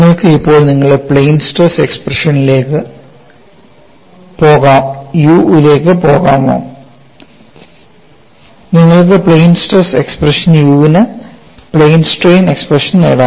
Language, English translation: Malayalam, Can you now go to your plane stress expression for nu can you get from plane stress expression for you to plane strain expression for nu